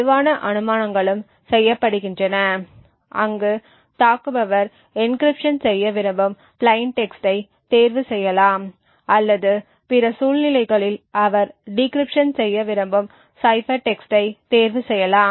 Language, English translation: Tamil, Stronger assumptions are also done where we make the assumption that the attacker also can choose the plain text that he wants to encrypt or in other circumstances choose the cipher text that he wants to decrypt